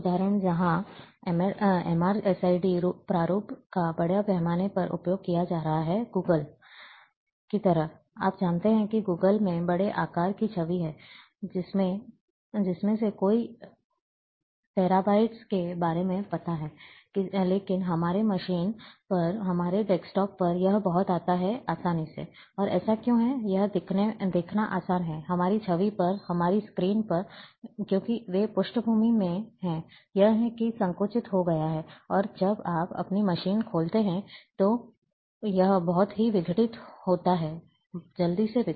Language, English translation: Hindi, One of the examples, where MrSID format is being used extensively, in like Google earth, you know that Google earth is having large sizes of image, of a you know, of many terabytes, but on our machine, on our desktop, this comes very easily, and why it is so, it is easy to see, on our image, on our screens, because they are in the background, it is it has been compressed, and when you open in your machine, it, it is decompressed very quickly